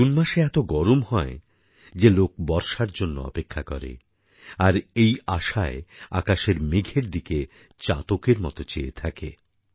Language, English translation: Bengali, The month of June is so hot that people anxiously wait for the rains, gazing towards the sky for the clouds to appear